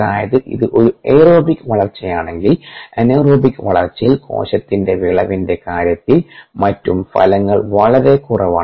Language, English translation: Malayalam, ok, so if it is anaerobic growth then the outcomes are much less in the aerobic growth in terms of cell healed and so on